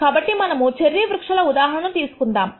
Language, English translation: Telugu, So, let us take this example of the cherry trees